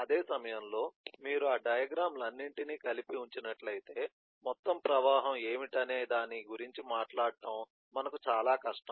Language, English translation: Telugu, if you just put all those diagrams together then it gets difficult for us to conceive as to what will be the total flow is being talked of